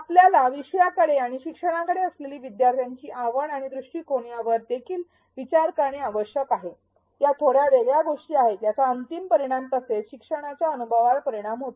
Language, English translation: Marathi, We need to also consider learners interest and attitude towards the topic and towards e learning, these are slightly separate things and these do affect the final outcomes as well as the learning experience